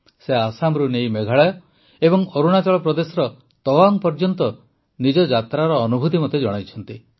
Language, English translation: Odia, She narrated me the experience of her journey from Assam to Meghalaya and Tawang in Arunachal Pradesh